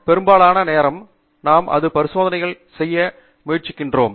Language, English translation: Tamil, Most of the time we are trying to do new experiments